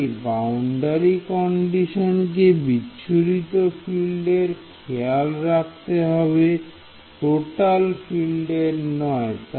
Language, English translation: Bengali, So, the boundary condition should take care of scattered field not total field